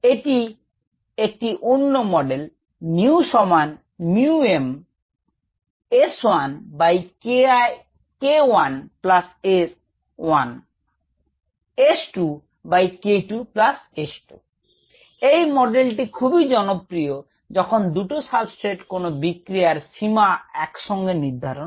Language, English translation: Bengali, this model is very popular when two substrates are simultaneously limiting